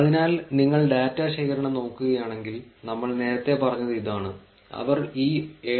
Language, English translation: Malayalam, So, if you look at the data collection, so this is what we said earlier, how do they collect this 7